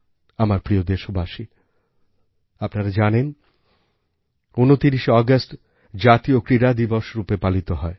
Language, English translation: Bengali, My dear countrymen, all of you will remember that the 29th of August is celebrated as 'National Sports Day'